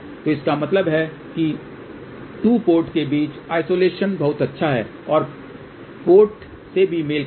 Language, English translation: Hindi, So that means, that isolation between the 2 ports is very good and also the ports are matched